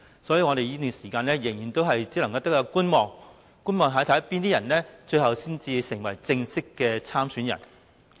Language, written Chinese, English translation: Cantonese, 所以，我們在這段時間只能繼續觀望，看看最終有哪些人能夠成為正式參選人。, Hence in the interim we can only keep watching and wait to see who can formally become a candidate at the end of the day